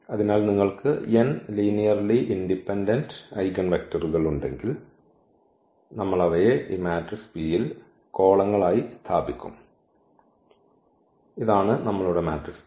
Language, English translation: Malayalam, So, if you have n linearly independent eigenvectors, we will just place them in this matrix P as the columns, and this is our matrix this P